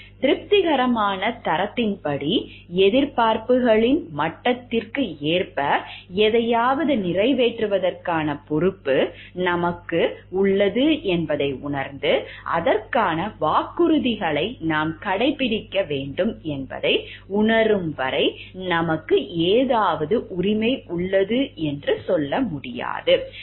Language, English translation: Tamil, We cannot just tell like we have rights for something until and unless we also realize that we have the responsibility of performing something, according to the satisfactory standard, according to the level of expectations and we have to keep our promises for it